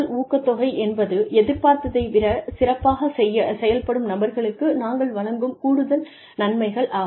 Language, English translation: Tamil, Incentives are additional benefits, we give to people, who perform better than, what is expected